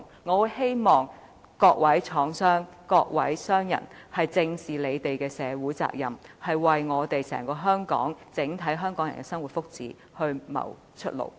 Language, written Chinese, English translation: Cantonese, 我希望各位廠商、各位商人正視他們的社會責任，為所有香港人的生活和福祉謀出路。, I hope the industrialists and the businessmen will squarely face their social responsibilities and seek ways to improve the livelihood and welfare of all Hong Kong people